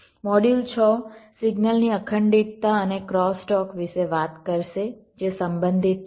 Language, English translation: Gujarati, module six will talk about the signal integrity and cross talk which are related